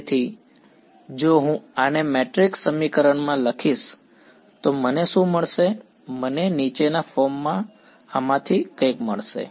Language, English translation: Gujarati, So, if I write this out into a matrix equation what will I get I am going to get something of the following form